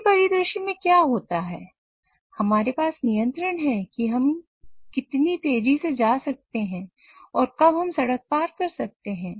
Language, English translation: Hindi, And what happens is we have control on how fast we can go and when we can we cross the road